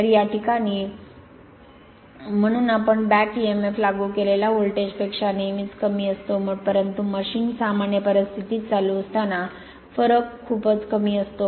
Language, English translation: Marathi, So, in this case you therefore, back emf is always less than the applied voltage, so although the difference is very small when the machine is running under normal conditions